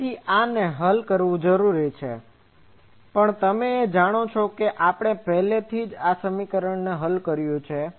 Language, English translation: Gujarati, So, this needs to be solved, but you know this, already we have solved this equation earlier